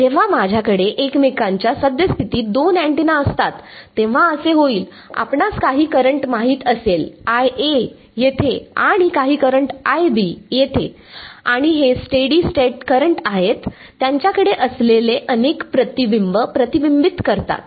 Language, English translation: Marathi, Half when I have two antennas in the present of each other there is going to be you know some current, I A over here and some current I B over here and these are steady state currents after all reflect multiple reflections they have